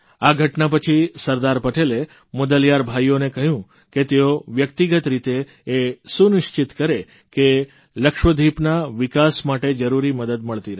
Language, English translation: Gujarati, After this incident, Sardar Patel asked the Mudaliar brothers to personally ensure all assistance for development of Lakshadweep